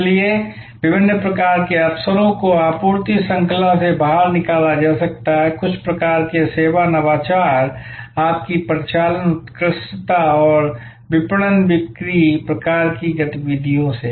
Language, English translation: Hindi, So, differentiation opportunities can be derived out of supply chain, out of certain kinds of service innovation, your operational excellence and marketing sales types of activities